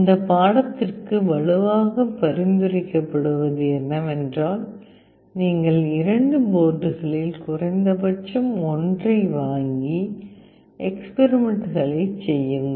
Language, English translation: Tamil, And what is strongly recommended for this course is you purchase at least one of the two boards and perform the experiments